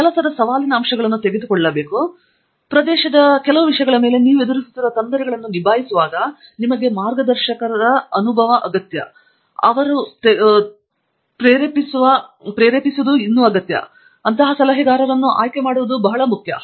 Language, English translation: Kannada, It is very important to pick the right advisor who has both the energy to drive you to take up the challenging aspects of the work and also the experience to guide you when you are into the difficulties coming over some of these topics